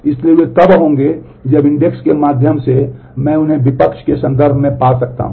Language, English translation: Hindi, So, they will occur if through the index I can find them in terms of the consecutivity